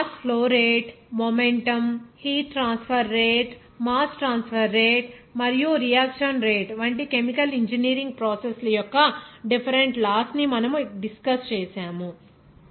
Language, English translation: Telugu, So, we have described different laws of the chemical engineering processes, like that mass flow rate, momentum, heat transfer rate, mass transfer rate, and also reaction rate